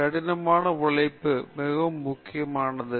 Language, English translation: Tamil, Hard work is very, very important